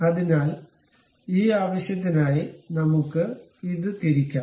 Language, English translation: Malayalam, So, for that purpose, we can really rotate this